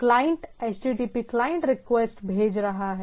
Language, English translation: Hindi, Client is the sending a HTTP client request right